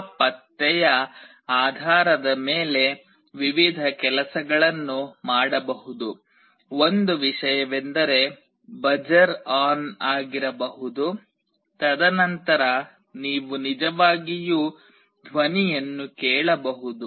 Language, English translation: Kannada, Based on that detection various things can be done; one thing is that a buzzer could be on, and then you can actually hear the sound and can make out